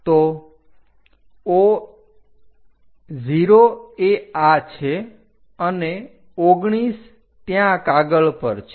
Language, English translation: Gujarati, So, 0 is this and 19 is there on the drawing sheet